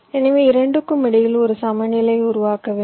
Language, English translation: Tamil, so you have to make a balance between the two